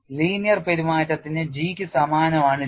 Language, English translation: Malayalam, For linear behavior J is identical to G